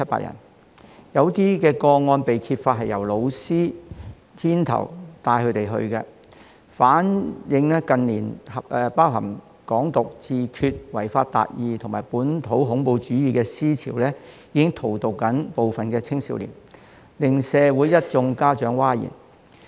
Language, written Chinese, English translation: Cantonese, 有些個案更被揭發是由教師牽頭帶領學生前往參與，反映近年包含"港獨"、"自決"、違法達義及本土恐怖主義的思潮，正在荼毒部分青少年，令一眾家長譁然。, They have even revealed that in some cases students were led by teachers to participate in the activities . This shows that in recent years the promotion of Hong Kong independence self - determination the idea of achieving justice by violating the law and local terrorism have been poisoning some young people which caused an outcry among parents